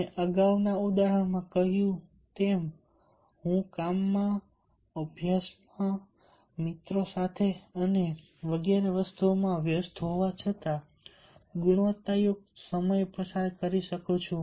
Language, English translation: Gujarati, as i told in the earlier example, i can spend quality time while busy with work, with study, with friends and etcetera